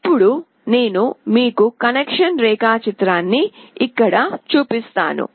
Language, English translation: Telugu, Now, I will just show you the connection diagram here